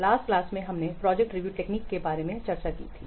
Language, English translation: Hindi, Last class we have discussed about project review technique